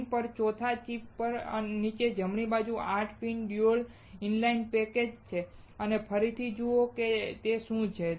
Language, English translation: Gujarati, On the fourth chip on the screen, the bottom right is 8 pin dual inline package and again you see what is that